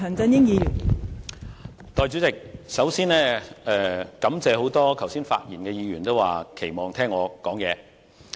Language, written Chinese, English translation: Cantonese, 代理主席，首先，我感謝剛才多位發言的議員表示期望聽我發言。, First of all Deputy President I wish to thank the many Members who have spoken just now for expressing the hope to hear my speech